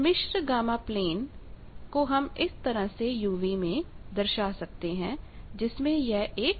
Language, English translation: Hindi, Complex gamma plane can be described by this u v this is your imaginary side